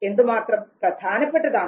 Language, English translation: Malayalam, How relevant, how significant that is